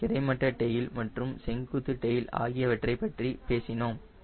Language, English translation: Tamil, ok, yeah, we have spoken about horizontal tail and vertical tail